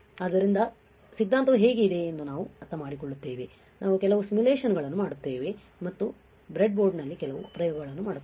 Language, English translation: Kannada, So, that we also understand that how the theory is there, we do some simulations and we will do some experiments on the breadboard all right